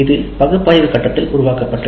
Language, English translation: Tamil, We have created this in the analysis phase